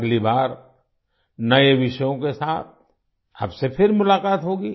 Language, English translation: Hindi, See you again, next time, with new topics